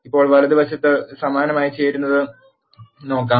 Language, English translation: Malayalam, Now, let us look at the right join similarly